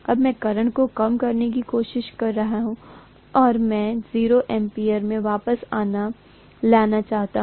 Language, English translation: Hindi, Now I am trying to reduce the current and I want to bring it back to 0 ampere